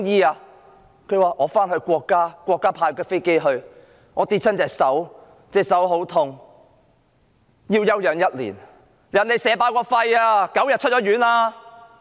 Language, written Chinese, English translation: Cantonese, 她說要回到國家，國家派飛機接她去，她說跌傷了手，手很痛，要休養1年；別人被射爆肺 ，9 天也已出院了......, She said that she must return to the country and that the State had sent a plane for her . She said that she had sustained injuries from a fall that her hand hurt badly and that she would need a year for recuperation